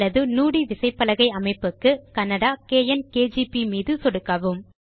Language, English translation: Tamil, If you want to Nudi keyboard layout, click on the Kannada – KN KGP